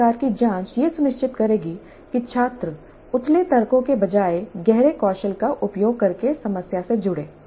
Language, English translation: Hindi, These kind of probes will ensure that the students engage with the problem using deep skills rather than shallow arguments